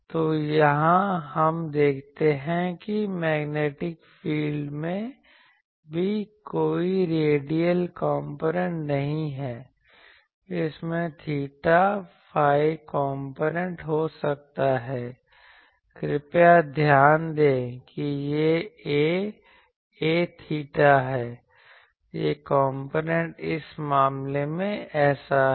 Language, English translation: Hindi, So, here also we see that the magnetic field also does not have any radial component, it may have theta phi component please note there is a this A theta this components is like this in this case